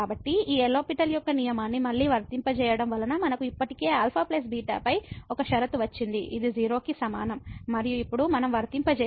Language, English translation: Telugu, So, applying this L’Hospital’s rule again so, we got already one condition on alpha plus beta which is equal to and now if we apply